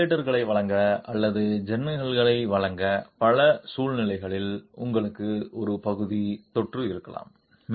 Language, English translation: Tamil, In several situations to provide ventilators or to provide windows you might have a partial infill